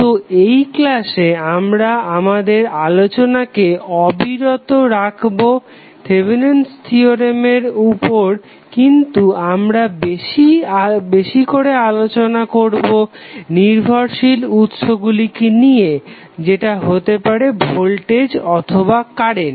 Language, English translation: Bengali, So, in this class we will continue our discussion on the Thevenin's theorem but we will discuss more about the dependent sources that may be the voltage or current